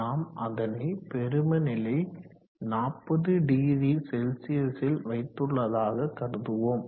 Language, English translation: Tamil, Let us say we will set it at maximum 400C or